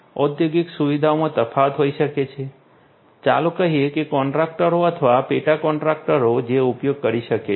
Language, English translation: Gujarati, There could be different in an industrial facility, there could be different let us say contractors or subcontractors who could be using